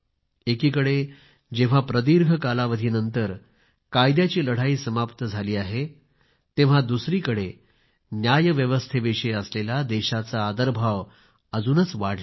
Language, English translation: Marathi, On the one hand, a protracted legal battle has finally come to an end, on the other hand, the respect for the judiciary has grown in the country